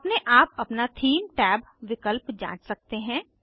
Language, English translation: Hindi, You can explore the Theme tab options on your own